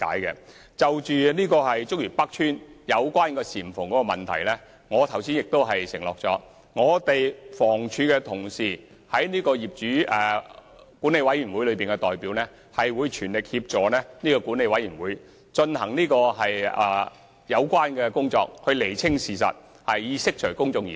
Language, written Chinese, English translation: Cantonese, 有關竹園北邨的簷篷問題，我剛才已承諾，房委會在業主大會和管委會的代表會全力協助管委會進行有關工作，釐清事實，以釋除公眾疑慮。, Regarding the canopies of Chuk Yuen North Estate I have pledged earlier that representatives of HA at general meetings convened by OCs or at meetings of management committees will assist the management committees to clarify the facts and allay the concerns of the public